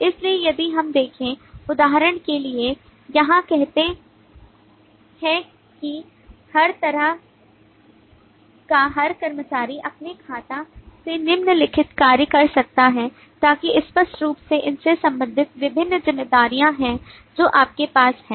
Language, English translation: Hindi, so if we look at, for example, here say every employee of every kind can do the following from his or her account so that clearly relates to these are the different responsibilities that you have